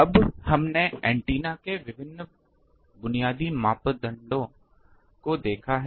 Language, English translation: Hindi, Now, we have seen various basic parameters of antennas